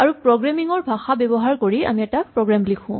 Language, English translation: Assamese, And we write down a program using a programming language